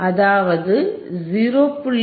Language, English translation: Tamil, So that, 0